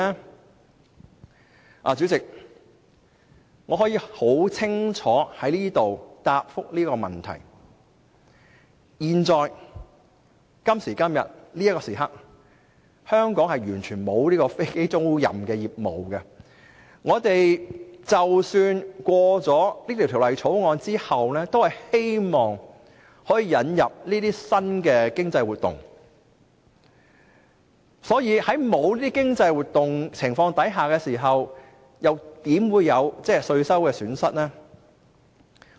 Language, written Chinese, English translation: Cantonese, 代理主席，我可以在這裏清楚回答這個問題，在此時刻，香港完全沒有飛機租賃業務，通過《條例草案》是希望可以引入這些新的經濟活動，所以，在沒有這些經濟活動的情況下，又怎會有稅收的損失呢？, Deputy President I can clearly say to Members that there is currently no aircraft leasing business in Hong Kong . It is hoped that by passing the Bill we can bring in these new economic activities to Hong Kong . So if there is now no such economic activities how could there be any tax revenue loss?